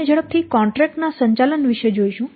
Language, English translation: Gujarati, Then we will quickly see about the contract management